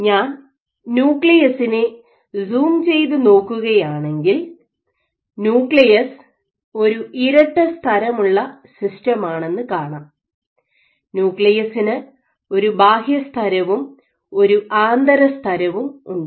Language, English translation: Malayalam, So, if I zoom in so the nucleus actually has is a double membrane system you have outer nuclear membrane and inner nuclear membrane